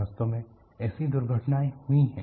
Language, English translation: Hindi, In fact, such accidents have happened